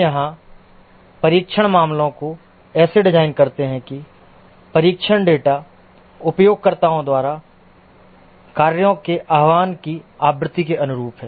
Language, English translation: Hindi, Here we design the test cases such that the test data correspond to the frequency of invocation of the functions by the users